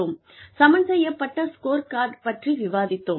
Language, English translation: Tamil, We discussed the balanced scorecard